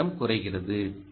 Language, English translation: Tamil, average current is lower